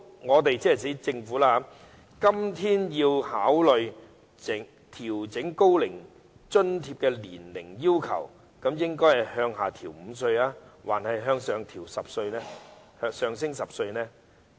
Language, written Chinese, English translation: Cantonese, 我們今天如要考慮調整高齡津貼的年齡要求，究竟應該是把門檻降低5歲，還是上調10歲呢？, If we have to consider adjusting the age requirement of OAA today shall we set the threshold downwards by five years or upwards by 10 years?